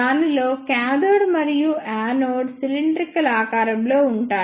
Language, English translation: Telugu, In this the cathode and the anode are of cylindrical shape